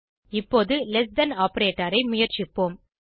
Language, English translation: Tamil, Let us now try less than operator